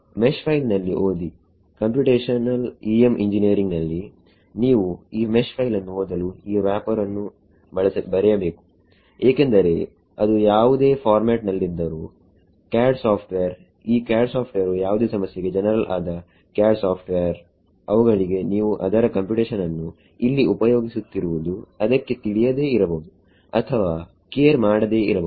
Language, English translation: Kannada, Read in the mesh file; as a computational EM engineering you have to write this wrapper to read this mesh file because, it will be in whatever format CAD software did CAD software is general CAD software for any problem they may not even know or care that you are using its computational here